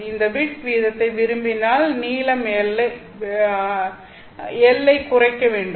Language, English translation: Tamil, It tells you that if you want a larger bit rate, you have to reduce the length L